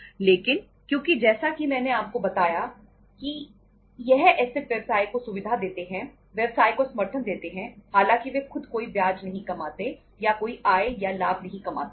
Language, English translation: Hindi, But because as I told you that these assets are facilitated to the business, support to the business though they do not earn any interest or sorry any income or profit themselves